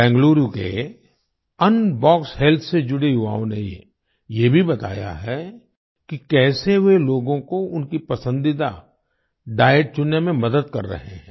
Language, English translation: Hindi, The youth associated with Unbox Health of Bengaluru have also expressed how they are helping people in choosing the diet of their liking